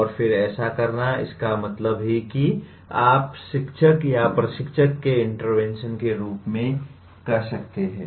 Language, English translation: Hindi, And then having done that, that means these what you may call as the interventions of the by the teacher or by the instructor